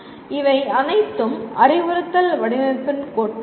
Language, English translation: Tamil, These are all theories of instructional design